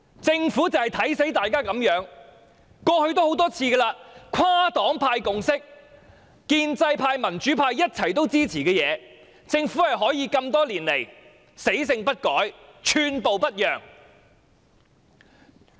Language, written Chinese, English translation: Cantonese, 政府就是"看扁"大家會如此，過去多次如是，即使是跨黨派有共識、建制派和民主派一同支持的事，但政府多年來仍可死性不改、寸步不讓。, It has happened on numerous occasions in the past even though a consensus was reached among different parties and groupings on the issue which was supported by both the pro - establishment and democratic camps the Government has never changed its mind and refused to yield an inch for many years